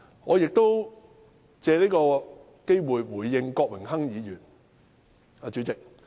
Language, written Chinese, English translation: Cantonese, 我亦借此機會回應郭榮鏗議員。, Moreover I would like to take this opportunity to respond to Mr Dennis KWOK